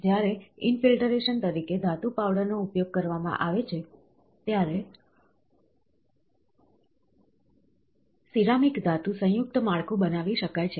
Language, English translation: Gujarati, When metal powders are used as the infiltrant, then a ceramic metal composite structure can be formed